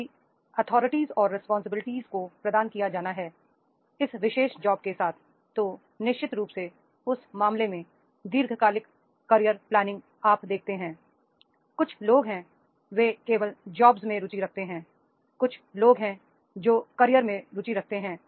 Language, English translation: Hindi, if authorities and responsibilities are to be provided with this particular job then definitely in that case long term career planning now now you see that is the some people they are interested only in the jobs some people are interested into the career so how it makes a difference between a job and the career is there